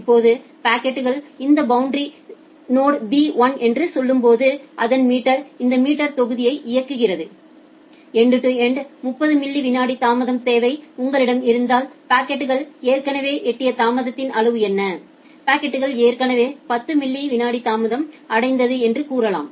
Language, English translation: Tamil, Now when the packet is reaching to say this boundary node say B1, it runs its meter this meter module to find out that if you have a end to end 30 millisecond of delay requirement, what is the amount of delay the packet has already achieved, say at the packet has already achieved, 10 millisecond delay